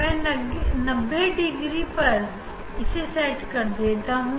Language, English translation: Hindi, I set at 90 degree so forget that one